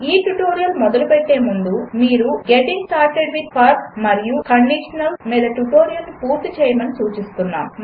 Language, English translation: Telugu, Before beginning this tutorial,we would suggest you to complete the tutorial on Getting started with for and Conditionals